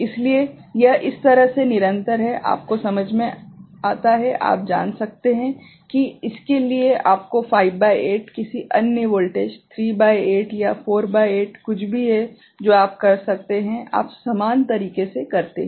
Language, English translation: Hindi, So, this way it continuous you understand, you can you know for this is for 5 by 8 any other voltage 3 by 8 or 4 by 8 anything that you can, you do in a same manner